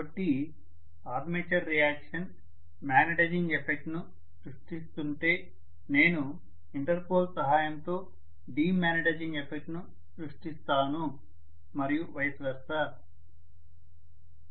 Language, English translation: Telugu, So, if the armature reaction is creating a magnetizing effect I will create a demagnetizing effect with the help of Interpol and vice versa